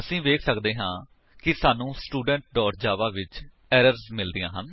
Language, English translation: Punjabi, We can see that we get errors in TestStudent.java